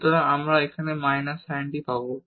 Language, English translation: Bengali, So, we will get here minus sin t